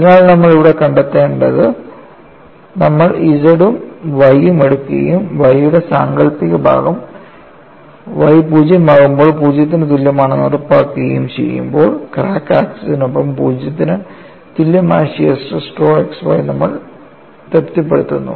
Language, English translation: Malayalam, So, what you find here is, when you take Z as well as Y and ensure that imaginary part of Y is 0 on Y equal to 0, you satisfy shear stress tau xy 0 along the crack axis, at the same time, maximum shear stress varies along the crack axis